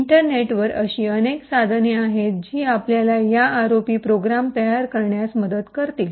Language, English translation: Marathi, On the internet there are several tools which would help you in building these ROP programs